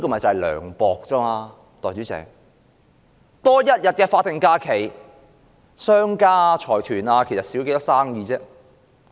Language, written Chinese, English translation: Cantonese, 代理主席，多增一天法定假日，商家和財團的生意會減少多少？, Deputy President to what extent will an extra statutory holiday reduce the profits of businessmen and consortiums?